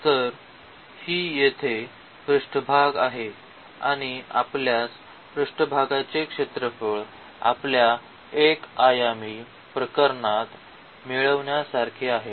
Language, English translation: Marathi, So, this is the surface here and we can get the surface area again similar to what we have for the 1 dimensional case